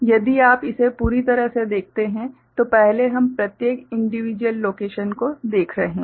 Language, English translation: Hindi, If you look at the whole of it, earlier we are looking at each individual location wise